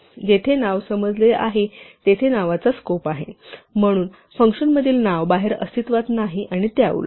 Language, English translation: Marathi, There is a scope of a name where is a name understood, so the name inside a function does not exist outside and vice versa